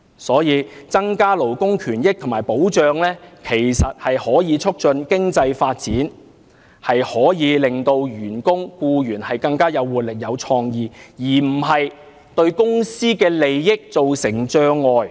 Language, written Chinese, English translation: Cantonese, 所以，增加勞工權益和保障，可以促進經濟發展，令員工和僱員更有活力和創意，而不會對公司的利益造成障礙。, This shows that increasing the protection of labour rights and interests can facilitate economic development and increase the vitality and creativity of workers and employees and will not undermine the companies interests